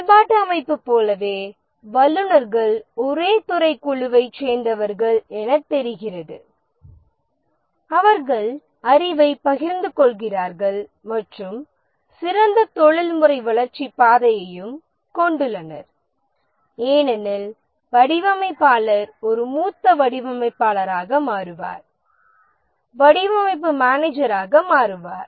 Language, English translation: Tamil, Advantage just like the functional organization, since the experts belong to the same department or group, the share knowledge and also better professional growth path because a designer will become a senior designer, become a design manager and so on